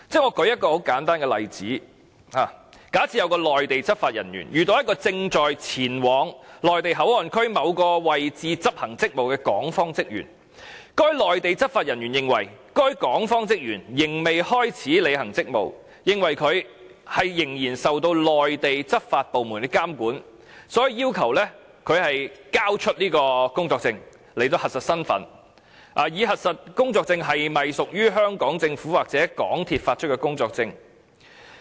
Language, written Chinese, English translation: Cantonese, 我舉一個很簡單的例子：假設有一名內地執法人員遇到一個正在前往內地口岸區某個位置執行職務的港方職員，該內地執法人員認為該港方職員仍未開始履行職務，認為他仍然受內地執法部門監管，所以要求他交出工作證以核實身份，以核實工作證是否屬於香港政府或港鐵公司發出的工作證。, Let me cite a simple example to illustrate my point . Assume a Mainland law enforcement officer bumps into an officer of the Hong Kong authorities who is going to a certain location in MPA to carry out his duties the Mainland law enforcement officer considers that the officer of the Hong Kong authorities has not yet started to perform his duties and is thus subject to the regulation of Mainland law enforcement agencies . The Mainland law enforcement officer then requires him to submit his work permit to verify his identity and whether his work permit is issued by SAR Government or MTRCL